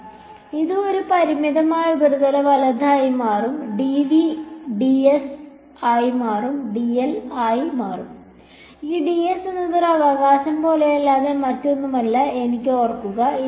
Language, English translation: Malayalam, So, this will become a finite surface right and dv will become ds will become dl and remember this ds is nothing but n hat ds like this right